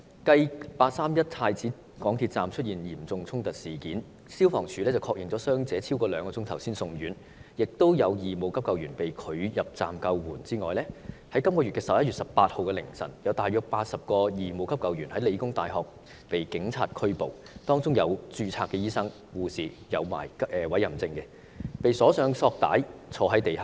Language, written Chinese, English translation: Cantonese, 繼"八三一"太子港鐵站的嚴重衝突事件中，消防處在確認傷者超過兩小時後才送院，並有義務急救員被拒入站救援後，在11月18日的凌晨，有大約80名義務急救員在香港理工大學被警方拘捕，當中包括持有委任證的註冊醫生及護士，他們均被綁上索帶坐在地上。, In the serious conflicts inside MTR Prince Edward Station on 31 August the injured persons were sent to hospitals after having been confirmed by the Fire Services Department for more than two hours while some volunteer first - aiders were refused entry into the station to perform rescue work . After this incident in the early morning on 18 November about 80 volunteer first - aiders including registered doctors and nurses with warrants were arrested by the Police at The Hong Kong Polytechnic University and all of them sat on the ground with their hands tied up